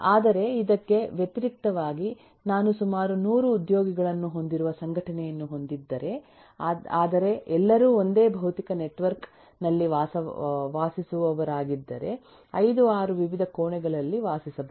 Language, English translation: Kannada, but, in contrast, if i have an organisation which has about couple of 100 employees but all residing within the same physical network within the assembling, maybe residing in 5, 6 different rooms